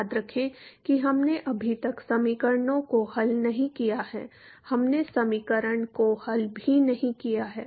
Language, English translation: Hindi, Remember we have not solved the equations yet, we have not even solved the equation